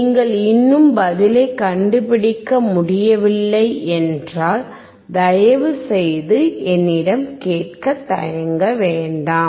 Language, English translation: Tamil, If you still cannot find the answer please feel free to ask me